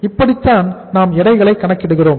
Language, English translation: Tamil, This is how we are calculating the weights